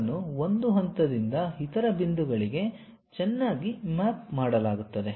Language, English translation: Kannada, They will be nicely mapped from one point to other point